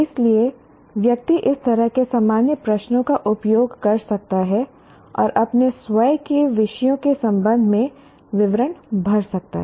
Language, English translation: Hindi, So, one can use this kind of generic questions and fill in the details with respect to one's own subjects